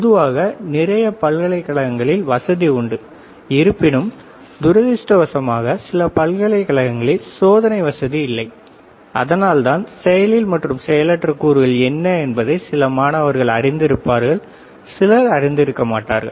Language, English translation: Tamil, Generally, lot of universities they have the facility; however, unfortunately few of the universities we do not have the experimental facility, and that is why the students may or may not know what are the active and passive components